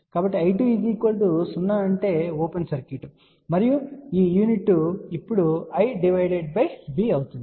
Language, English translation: Telugu, So, I 2 be equal to 0 means open circuit, and this unit will be now I divided by V